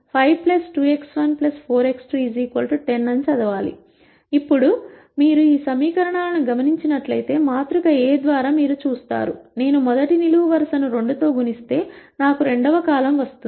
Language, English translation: Telugu, Now if you notice these equations, through the matrix A you will see that, if I multiply the first column by 2 I get the second column